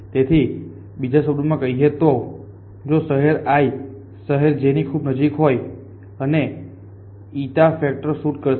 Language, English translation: Gujarati, So, in other words if that the adjust very if the if the city j is very close to city i and this eta factor will shoot up